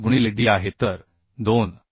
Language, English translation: Marathi, 5 into d so 2